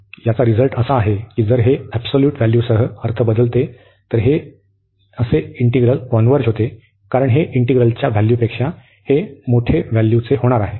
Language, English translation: Marathi, So, this is there is a result also that this is such integral converges if this converges meaning with the absolute value, because this is going to be a larger value than this value of the integral